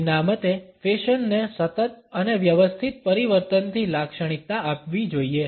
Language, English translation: Gujarati, According to them fashion has to be characterized by continual and systematic change